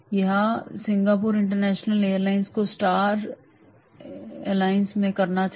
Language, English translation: Hindi, Or should Singapore international airlines stay in the Star Alliance